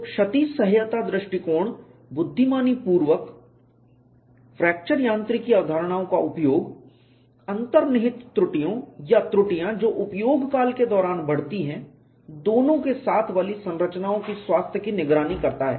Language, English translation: Hindi, So, the damage tolerance approach intelligently uses fracture mechanics concepts in health monitoring of structures with inherent flaws or flaws that grow in service